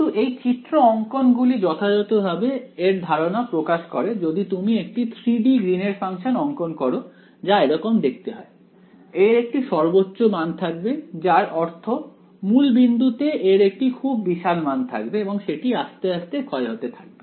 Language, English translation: Bengali, But this; these graphs really they convey the institution of it, if you plot the 3 D Green’s function it looks similar to this right, it will have the maxima I mean it will have some large value at the origin and then begin to decay of